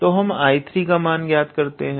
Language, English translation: Hindi, So, let us calculate I 3